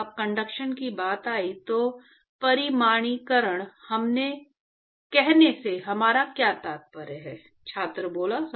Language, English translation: Hindi, What did we mean by saying quantification when it came to conduction